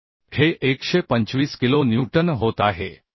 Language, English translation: Marathi, So this is becoming 125 kilo Newton